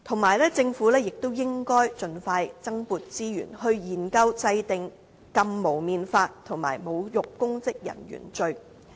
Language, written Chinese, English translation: Cantonese, 而且，政府亦應盡快增撥資源，研究制定禁蒙面法及侮辱公職人員罪。, The Government should also distribute more resources on studying the enactment of an anti - mask law and a law against insulting public officers